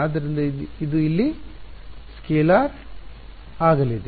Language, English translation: Kannada, So, it is going to be a scalar over here